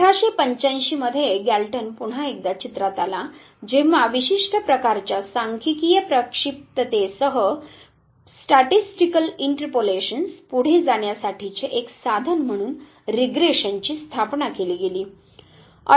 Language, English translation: Marathi, 1885 once again Galton came into picture where regression was established as a tool to go ahead with certain type of statistical interpolations